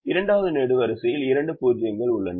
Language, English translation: Tamil, second column has two zeros